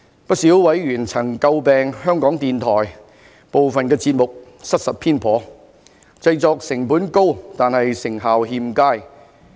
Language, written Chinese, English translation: Cantonese, 不少委員曾詬病香港電台部分節目失實偏頗，製作成本高但成效欠佳。, A number of members had criticized Radio Television Hong Kong RTHK for the inaccurate and partial views in some of its programmes which were costly in production but ineffective